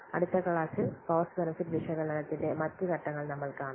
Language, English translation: Malayalam, In the next class, we will see the other steps of cost benefit analysis